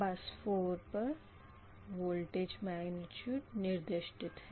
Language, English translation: Hindi, so bus four, that voltage magnitude is specified